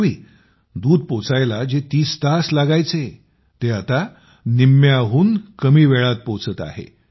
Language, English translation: Marathi, Earlier the milk which used to take 30 hours to reach is now reaching in less than half the time